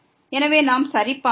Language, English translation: Tamil, So, let us just check